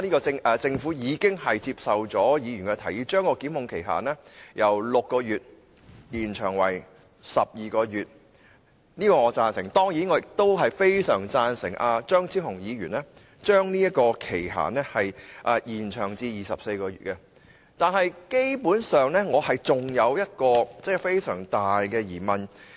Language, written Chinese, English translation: Cantonese, 雖然政府已接受了議員的提議，把檢控期限由6個月延長至12個月，對此我表示贊成，但我亦相當贊成張超雄議員的修正案，再把期限延長至24個月，可是，我仍然有一個相當大的疑問。, Although the Government has accepted Members proposal to extend the time limit for prosecution from 6 months to 12 months which I approve I also very much agree with the amendment proposed by Dr Fernando CHEUNG to further extend the time limit to 24 months . However I still have a great doubt